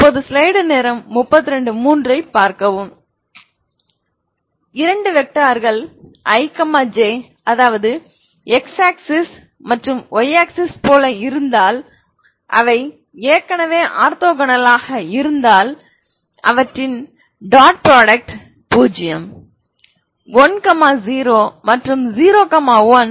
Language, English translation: Tamil, These two but you can make them if they are suppose you consider two vectors here if they are like ij x axis and y axis they are already orthogonal their dot product is zero, one zero and zero one ok